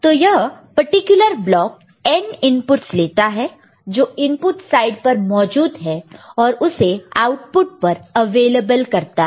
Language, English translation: Hindi, So, this particular block actually takes any of the n inputs, which is present at this site at the input site and makes it available to the output